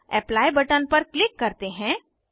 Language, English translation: Hindi, Now let us click on Apply button